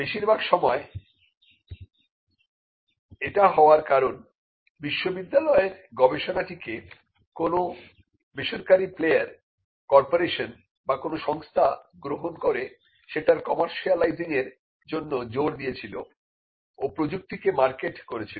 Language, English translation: Bengali, Now, most of the time this happened because the university research was taken by a private player corporation or an institution which was insisted in commercializing it and took the technology to the market